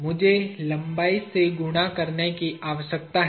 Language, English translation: Hindi, I need to multiply by the length